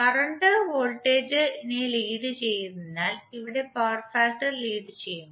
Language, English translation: Malayalam, Here power factor is leading because currently leads the voltage